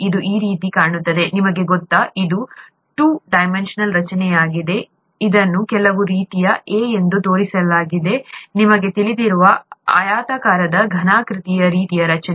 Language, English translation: Kannada, It looks something like this, you know, this is a two dimensional structure, this is shown as some sort of a, you know rectangular, a cuboidal kind of a structure